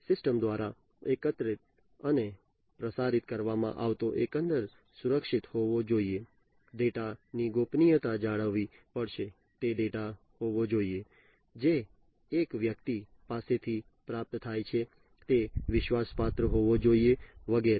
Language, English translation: Gujarati, The overall the data that is collected and is transmitted through the system it has to be secured, the privacy of the data has to be maintained, it has to be the data that is received from one person, it has to be trustworthy and so on